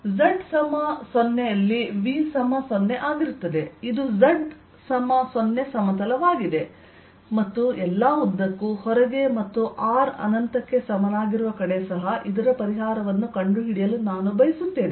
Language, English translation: Kannada, this is a z equals to zero plane and all throughout outside, and at r equal to infinity